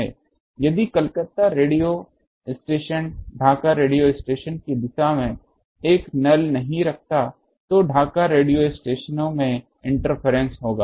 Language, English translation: Hindi, Now if Calcutta radio station does not put a null in the direction of Dhaka radio station, then Dhaka radio stations inference will be there